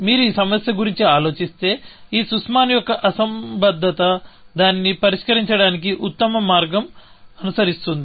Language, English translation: Telugu, That, if you just think about this problem, this Sussman’s anomaly; the best way to solve it follows